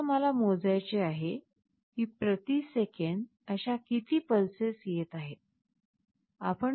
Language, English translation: Marathi, Suppose, I want to count, how many such pulses are coming per second